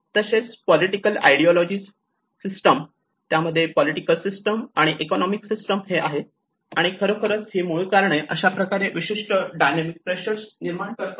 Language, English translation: Marathi, Ideologies where the political ideology, the systems, political systems and economic systems and how these root causes can actually create certain add on to the dynamic pressures